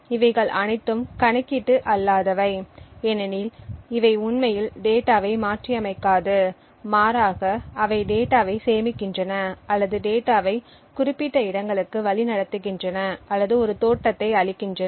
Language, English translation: Tamil, So, these are non computational because it does these do not actually modify the data but rather they just either store the data or just route the data to specific locations or just provide a look up so on